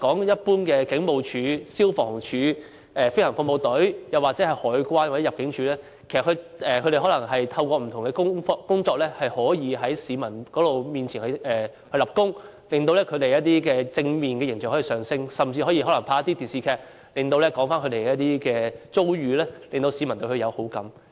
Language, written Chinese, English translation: Cantonese, 一般而言，香港警務處、消防處、政府飛行服務隊、香港海關或入境事務處可透過不同的工作，在市民面前立功，提升他們的正面形象，甚至可透過電視劇說出他們的遭遇，令市民對他們有好感。, Generally speaking there are different ways for the Hong Kong Police Force Fire Services Department Government Flying Service Hong Kong Customs and Excise Department as well as Immigration Department to make meritorious contributions before the public which would help promote their positive images